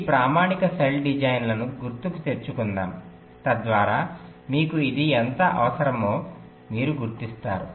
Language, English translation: Telugu, just let us recall this standard cell design so that you can appreciate why you need this